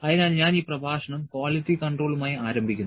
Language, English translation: Malayalam, So, I will start this lecture with quality control